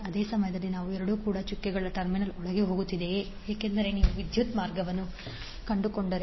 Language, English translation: Kannada, At the same time I 2 is also going inside the dotted terminal because if you trace the path of the current